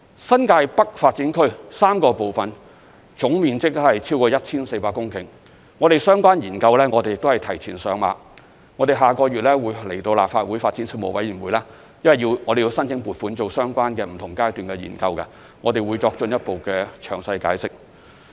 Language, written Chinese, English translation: Cantonese, 新界北發展區3個部分總面積超過 1,400 公頃，相關研究我們也是提前上馬，在下個月便會來到立法會發展事務委員會申請撥款進行相關的、不同階段的研究，我們屆時會作進一步的詳細解釋。, The three parts of the New Territories North Development Area cover more than 1 400 hectares in total area . We have advanced their relevant studies and we will come to the Panel on Development of the Legislative Council next month to submit the funding proposals for the corresponding studies at different stages . We will explain in greater detail then